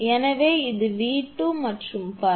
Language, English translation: Tamil, So, this is V 2 and so on